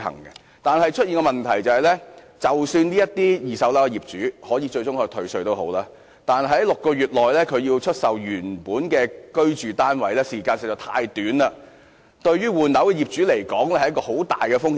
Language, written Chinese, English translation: Cantonese, 現在出現的問題是，即使二手住宅物業的業主最終可獲退稅，但要在6個月內出售其原本的居住單位，時間實在太短，對於換樓的業主來說是很大的風險。, The current problem is even if second - hand residential property owners can finally obtain tax rebates they have to sell their original flat within six months . The time limit is too short and poses significant risks to owners replacing their flats